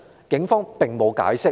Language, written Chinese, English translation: Cantonese, 警方並沒有解釋。, The Police did not give any explanation